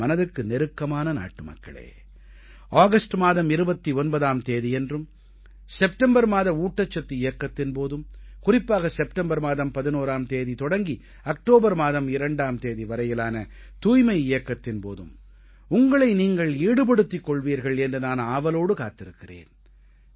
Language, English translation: Tamil, My dear countrymen, I will be waiting for your participation on 29th August in 'Fit India Movement', in 'Poshan Abhiyaan' during the month of September and especially in the 'Swachhata Abhiyan' beginning from the 11th of September to the 2nd of October